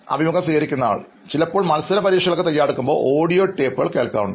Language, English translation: Malayalam, Also sometimes maybe like competitive exams, I used to listen to the audio tapes maybe